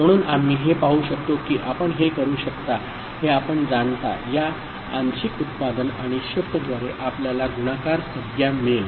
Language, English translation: Marathi, So, this is the way we can see that you know we can through this partial product and shift we can get the multiplication term